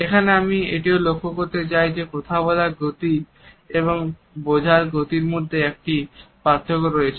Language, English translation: Bengali, Here I would also like to point out that there is a variation between the speed of speech and the speed of comprehension